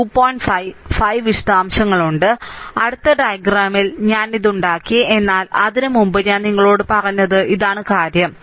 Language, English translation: Malayalam, 5 and 5 details, I made it in the next diagram, but ah before that I just told you that this is the thing